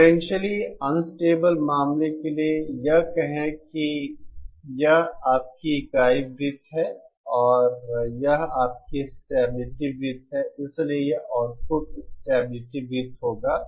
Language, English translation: Hindi, For the potentially unstable case, say this is your unit circle and this is your stability circle so this will be the output stability circle